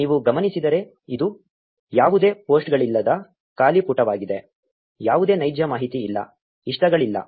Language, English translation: Kannada, Now if you notice this is an empty page with no posts, no real information no likes